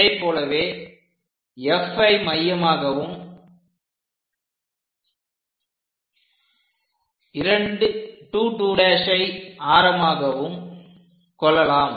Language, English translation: Tamil, Similarly what we can do is with F as center and radius 2 2 prime